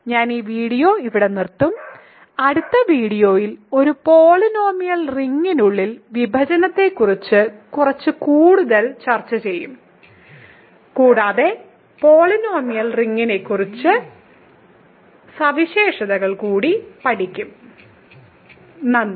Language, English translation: Malayalam, So, I will stop this video here and in the next video we will discuss a little bit more about division inside a polynomial ring and we will study a few more properties of the polynomial ring Thank you